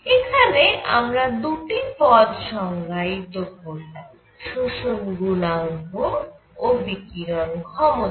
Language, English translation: Bengali, So, we have defined 2 quantities; absorption coefficient and emissive power